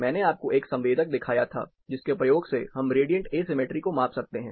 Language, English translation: Hindi, I showed you a sensor using which we can measure radiant asymmetry you are sitting in the center of the room